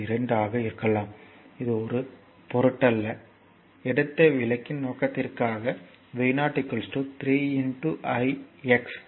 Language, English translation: Tamil, 2 it does not matter, just for the purpose of explanation we have taken v 0 is equal to 3 into i x